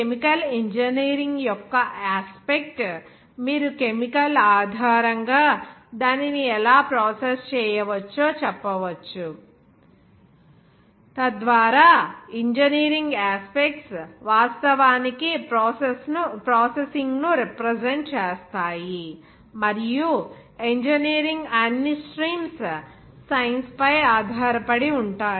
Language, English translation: Telugu, The aspect of chemical engineering from where you can say that based on the chemical, how it can be processed so that that engineering aspects actually represent processing and that engineering will be based on that the science that is of all streams